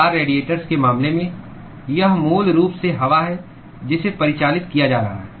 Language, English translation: Hindi, In case of car radiators, it is basically air which is being circulated